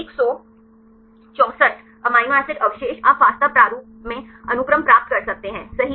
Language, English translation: Hindi, 164 amino acid residues right you can get the sequence in FASTA format